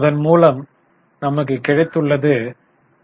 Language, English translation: Tamil, We get 0